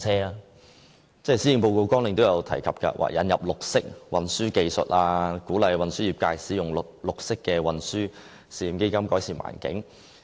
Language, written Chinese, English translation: Cantonese, 施政報告的綱領也提到要引入綠色運輸技術，鼓勵運輸業界使用綠色運輸試驗基金，改善環境。, In a bid to improve the environment the Policy Agenda says the Government will introduce green transport technologies and encourage the transport sector to test out the technologies through the Pilot Green Transport Fund